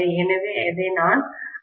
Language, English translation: Tamil, So, this is Ic, okay